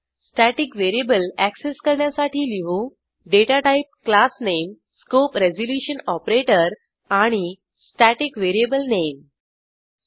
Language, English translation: Marathi, To access a static variable we write as: datatype classname scope resolution operator and static variable name